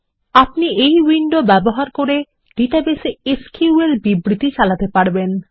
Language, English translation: Bengali, We can use this window, to issue SQL statements to the database